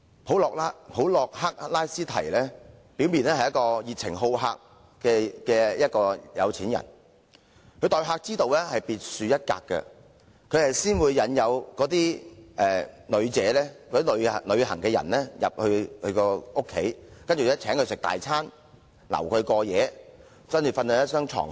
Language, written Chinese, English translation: Cantonese, 普洛克拉斯堤表面是一個熱情好客的富豪，他的待客之道別樹一格，先會引誘旅遊人士到他家中，然後便邀請他們吃豐富的晚餐甚至過夜，睡在那張床。, On the face of it Procrustes was a rich man who enjoyed having guests but in reality he was an extraordinary host . After inducing travelers to his home he would invite them to have a splendid dinner and even stay overnight sleeping in that bed